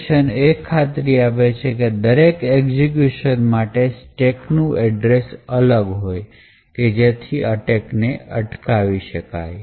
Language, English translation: Gujarati, The randomization would ensure that the location of the stack would be changed with every execution and this would prevent the attack